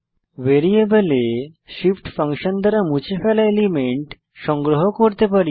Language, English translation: Bengali, We can collect the element removed by shift function into some variable